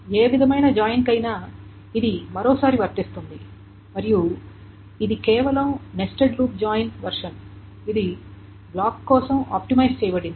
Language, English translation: Telugu, Once more this is applicable for any kind of joint and it is just a version of nested loop join which is optimized for block